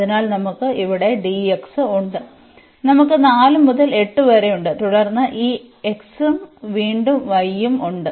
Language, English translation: Malayalam, So, we have dx here we have 4 to 8 and then this x and again y there